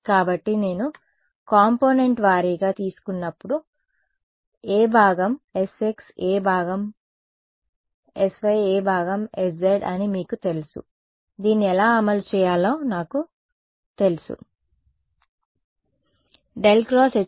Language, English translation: Telugu, So, when I take the component wise you know which part is s x which part is s y which part is s z I know how to implement this ok